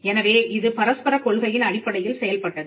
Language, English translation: Tamil, So, it worked on the principle of reciprocity